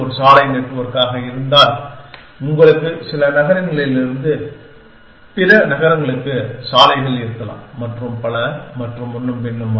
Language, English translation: Tamil, In the sense that, if it is a road network, you may have roads from some cities to other cities and so on and so forth